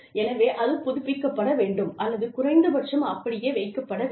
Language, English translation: Tamil, So, that has to be either updated, or at least kept intact